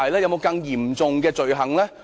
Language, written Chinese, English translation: Cantonese, 有否更嚴重的罪行呢？, Was there any more serious crime?